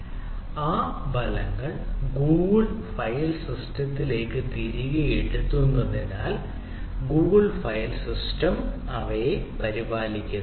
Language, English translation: Malayalam, so the results are written back to the google file system, so the google file system takes care of them